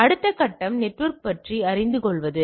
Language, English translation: Tamil, The next step is to learn about the network